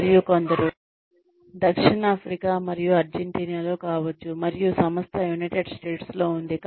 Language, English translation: Telugu, And, may be, some may be South Africa and Argentina, and the company is based in the United States